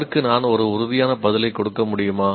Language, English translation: Tamil, Can I give a definitive answer for that